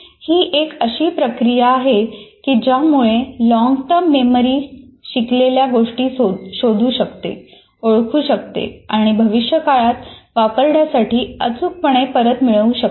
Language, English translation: Marathi, It is a process whereby long term memory preserves learning in such a way that it can locate, identify and retrieve accurately in the future